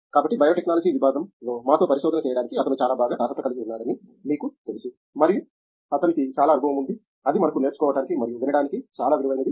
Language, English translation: Telugu, So, you can see that you know he is very well qualified to discuss research with us in the area of Biotechnology and he has a lot of experience that would be very valuable for us to learn from and listen to